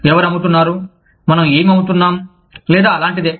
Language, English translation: Telugu, Who are selling, what we are selling, or something similar